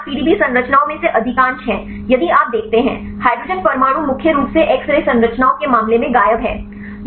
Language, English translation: Hindi, Second thing is most of the PDB structures if you see, the hydrogen atoms are missing mainly in the case of x ray structures